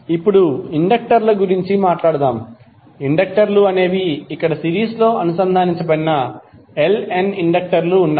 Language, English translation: Telugu, Now, let us talk about the inductors, suppose the inductors, there are Ln inductors which are connected in series